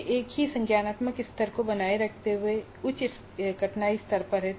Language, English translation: Hindi, So it gives higher difficulty level while retaining the same cognitive level